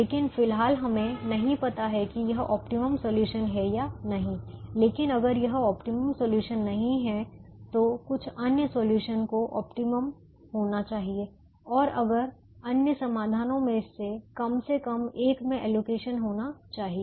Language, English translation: Hindi, but if this is not the optimum solution, then some other solution has to be optimum and that some other solution should have an allocation in at least one of the un allocated positions